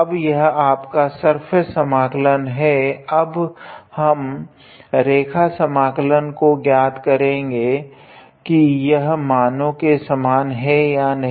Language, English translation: Hindi, Now, that is this surface integral, now we will evaluate the line integral to match the values whether they are same or not